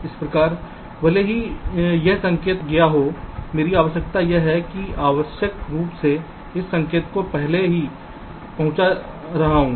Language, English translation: Hindi, so even if this signal has arrived means, my requirement is this: i am unnecessarily making this signal arrive earlier